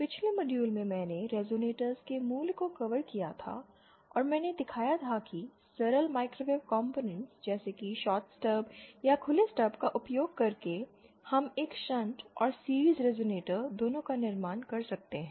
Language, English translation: Hindi, In the previous module, I had covered the basics of resonators and I had shown that how using simple microwave components like a shorted stub or an open stub, we can build both shunt and series resonator